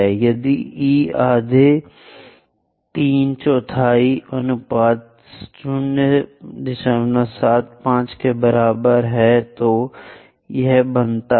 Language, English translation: Hindi, If e is equal to half three fourth ratio 0